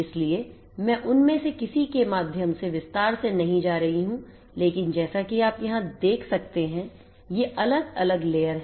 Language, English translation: Hindi, So, I am not going to go through any of them in detail, but as you can see over here these are these different layers